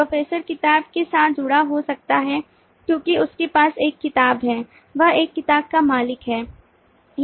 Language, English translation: Hindi, professor could be associated with the book because he has a book, he owns a book